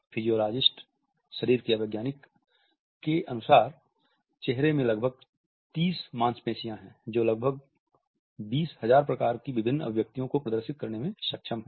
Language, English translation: Hindi, Physiologists have estimated that there are 30 or so muscles in the face which are capable of displaying almost as many as 20,000 different expressions